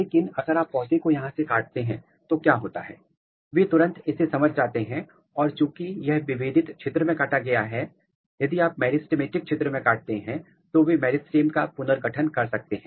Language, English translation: Hindi, But, what happens if you cut the plant from here, they immediately sense it and since this is cut in the differentiated region; if you cut in the meristematic region they can reconstitute the meristem